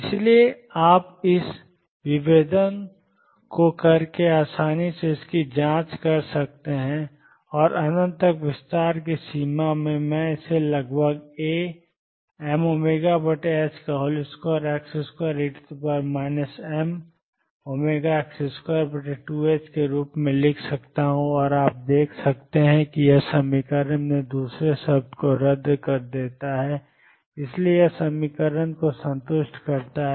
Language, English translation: Hindi, That is why you can easily check this by doing this differentiation and which in the limit of extending to infinity, I can write approximately as A m omega over h cross square x square e raised to minus m omega over 2 h cross x square and you can see that this cancels the other term in the equation therefore, it satisfies the equation